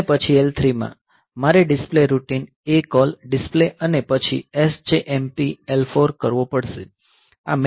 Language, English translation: Gujarati, And then in L3; I have to call the display routine ACALL display and then SJMP L 4